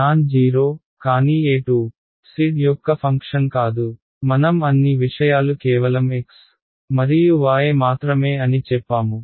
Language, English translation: Telugu, Is nonzero, but E z is not a function of z right we said that all things are function of only x and y right